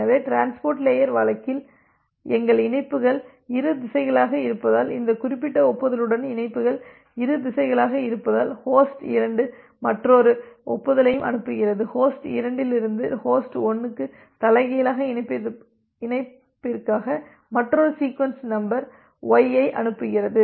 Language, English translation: Tamil, So, in case of transport layer normally our connections are bi directional because the connections are bi directional with this particular acknowledgement, the host 2 also sends another acknowledgement, sends another sequence number it for reverse connection from host 2 to host 1 that is the sequence number y